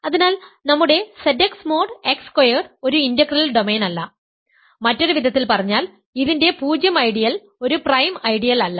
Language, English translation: Malayalam, So, our Z x mod x squared is not an integral domain, in other words the 0 ideal of this is not a prime ideal